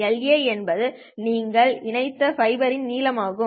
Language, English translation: Tamil, LA is the length of the fiber that you have connected